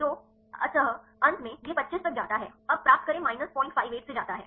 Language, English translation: Hindi, So, finally, it go up to 25 now get goes from the minus 0